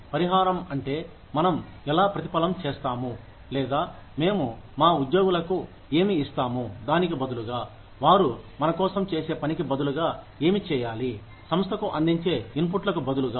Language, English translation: Telugu, Compensation means, how we reward, or, what we give to our employees, in turn for, what ought in return for the work, that they do for us, in return for the inputs, that they provide to the organization